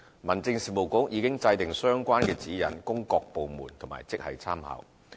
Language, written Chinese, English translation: Cantonese, 民政事務局已制訂相關指引供各部門及職系參考。, The Home Affairs Bureau has drawn up the relevant guideline as reference for departments and grades